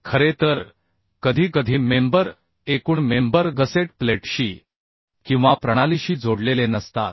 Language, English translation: Marathi, in fact sometimes member total members are not connected to the gusset plate or to the system